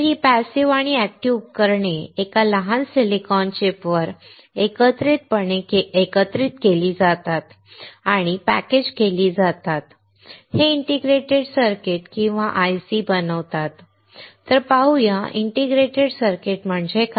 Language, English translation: Marathi, These devices, active and passive integrated together on a small silicone chip and packaged, this form an integrated circuit or IC